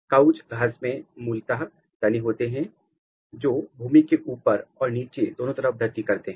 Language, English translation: Hindi, So, the crouch grass basically it’s shoot grows below the ground as well as above the ground